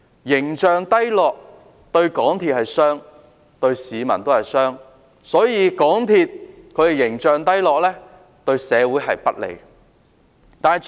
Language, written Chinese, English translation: Cantonese, 形象低落對港鐵公司是傷害，對市民也是傷害，故此港鐵公司形象低落，是對社會不利的。, The poor image of MTRCL not only hurts itself but also the public . Therefore the poor image of MTRCL is detrimental to society